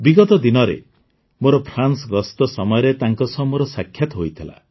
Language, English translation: Odia, Recently, when I had gone to France, I had met her